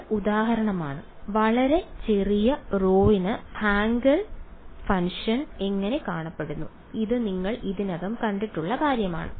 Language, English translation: Malayalam, So, this is for example, how the Hankel function looks like for very small rho and this is something you have already seen